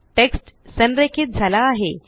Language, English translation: Marathi, The text gets aligned